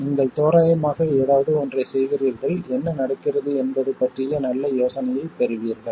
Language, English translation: Tamil, You make something approximately to scale and you get a very good idea of what is going on